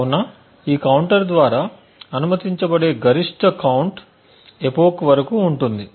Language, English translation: Telugu, So, therefore the maximum count that is permissible by this counter is upto the epoch